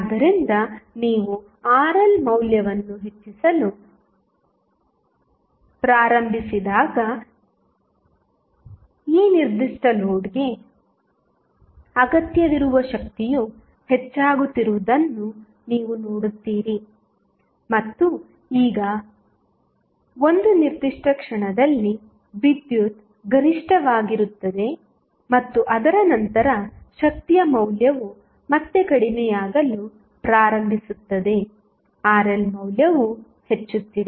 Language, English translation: Kannada, So, when you start increasing the value of Rl, you will see that power which is required for this particular load is increasing and now, at 1 particular instant the power would be maximum and after that the value of power will again start reducing even if the value of Rl is increasing